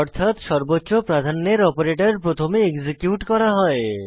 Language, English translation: Bengali, This means that the operator which has highest priority is executed first